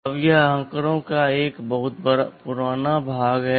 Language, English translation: Hindi, Now, this is a pretty old piece of statistics